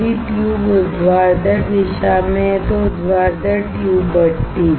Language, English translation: Hindi, If tube is in vertical direction, vertical tube furnace